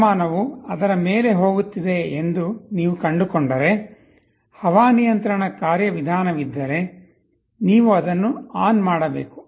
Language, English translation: Kannada, If you find the temperature is going above it, if there is an air conditioning mechanism, you should be turning it on